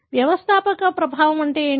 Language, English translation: Telugu, What is founder effect